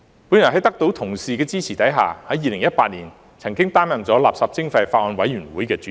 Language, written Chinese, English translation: Cantonese, 我在得到同事的支持下，在2018年曾擔任法案委員會的主席。, With the support of Honourable colleagues I served as the Chairman of the Bills Committee in 2018